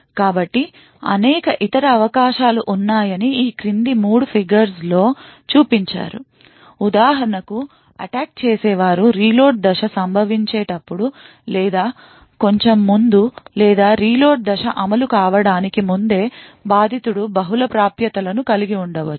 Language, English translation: Telugu, So there are many other possibilities which are depicted in these 3 figures below; for example, the eviction could occur exactly at that time when attacker’s reload phase is occurring or slightly before, or there could be also multiple accesses by the victim before the reload phase executes